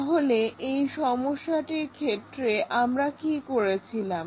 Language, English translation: Bengali, So, for that problem what we have done